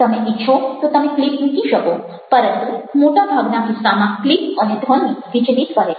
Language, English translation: Gujarati, if you wish to, you can have clips, but in most cases clips and sounds are distracting